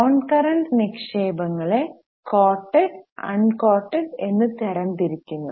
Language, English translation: Malayalam, So, non current investments are classified into coated and uncoded